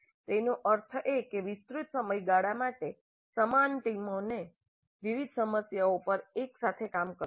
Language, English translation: Gujarati, That means for extended periods let the same teams work together on different problems